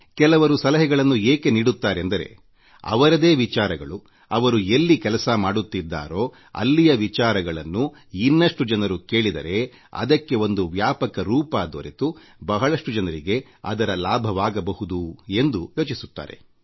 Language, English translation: Kannada, Some people also give suggestions thinking that if an idea has the potential to work then more people would listen to it if it is heard on a wider platform and hence many people can benefit